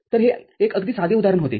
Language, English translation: Marathi, So, that was a very simple example